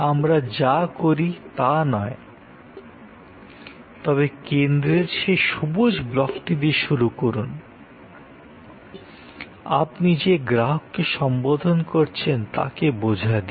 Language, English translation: Bengali, Not, what we do, but start with that green block in the center, understanding the customer segment that you are addressing